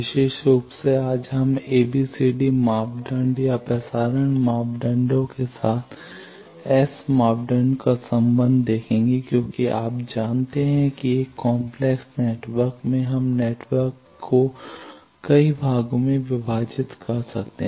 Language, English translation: Hindi, Particularly today we will see the relationship of S parameter with ABCD parameter or transmission parameters as you know that in a complex network we divide the network into several parts